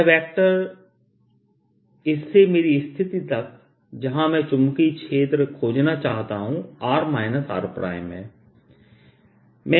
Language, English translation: Hindi, the vector from this to my position, where i want to find the magnetic field, is r minus r prime